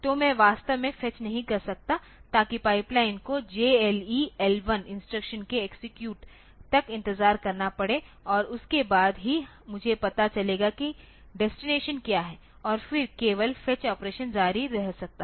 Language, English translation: Hindi, So, I really cannot fetch so, that the pipeline has to wait till the execution of the JLE L1 instruction is over and then only I will know what is the destination and then only the fetch operation can continued